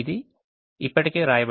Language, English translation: Telugu, they have all been written here